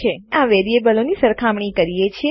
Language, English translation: Gujarati, We are comparing these variables